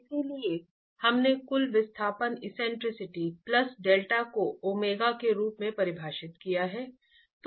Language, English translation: Hindi, So, we define the total displacement eccentricity plus delta as omega